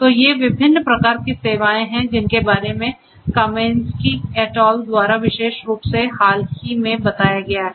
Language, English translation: Hindi, So, these are the different types of services that this particular work by Kamienski et al in a very recent work talks about